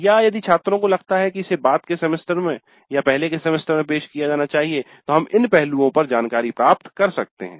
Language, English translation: Hindi, Or if the students feel that it must be offered in a later semester or earlier semester, we could get information on these aspects